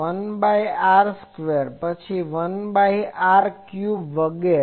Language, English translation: Gujarati, 1 by r square, then 1 by r cube etc